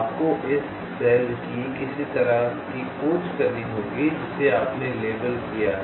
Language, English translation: Hindi, you have to do some kind of searching of this cells which you have labeled